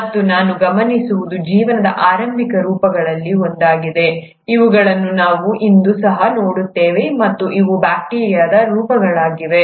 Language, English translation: Kannada, And what we also observe is one of the earliest forms of lives are something which we even see them today and those are the bacterial forms